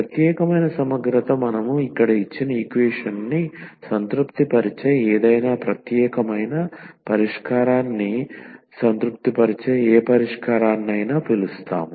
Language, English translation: Telugu, So, the particular integral we call any solution which satisfy any particular solution which satisfy the given equation with this here X